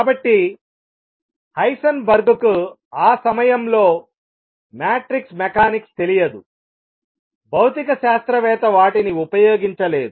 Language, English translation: Telugu, So, Heisenberg did not know matrix mechanics at that time physicist did not use them he discovered this through this